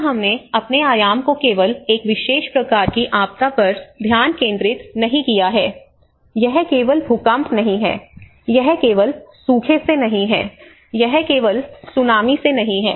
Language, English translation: Hindi, Here we have moved our dimension not just only focusing on a particular type of a disaster, it is not just only earthquake, it is not only by a drought, it is not by only tsunami